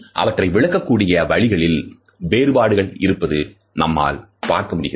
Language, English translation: Tamil, We find that there are certain variations in the way they can be interpreted